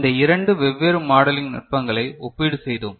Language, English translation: Tamil, And we had a comparison of these two different modeling techniques